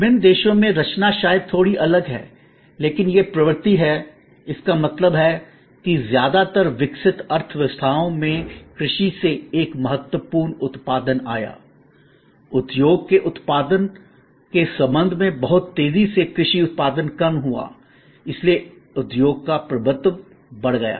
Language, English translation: Hindi, In different countries the composition maybe slightly different, but this is the trend; that means, in most developed economies a significant output came from agriculture, very rapidly agricultural output with respect to industry output diminished, so industry dominated